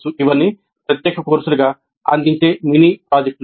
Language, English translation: Telugu, These are all mini projects offered as separate courses